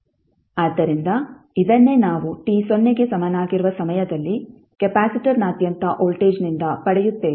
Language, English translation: Kannada, So this is what we get from voltage across the capacitor at time t is equal to 0